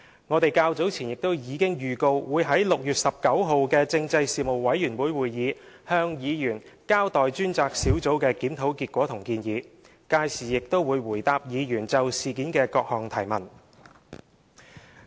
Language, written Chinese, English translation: Cantonese, 我們較早前亦已經預告會在6月19日的事務委員會會議上向委員交代專責小組的檢討結果和建議，屆時亦會回答委員就事件的各項提問。, We have earlier given a notice in advance that the Task Force will in the Panel meeting to be held on 19 June inform its members of findings and recommendations of the review . Questions from members on the incident will also be answered during that meeting